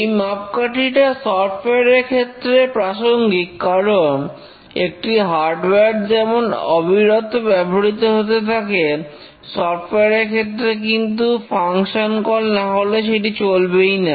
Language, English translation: Bengali, This is a more meaningful metric for software because unlike a hardware which is continuously used, a software doesn't run unless a function is invoked